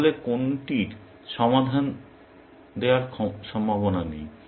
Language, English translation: Bengali, Then, which one is not likely to give a solution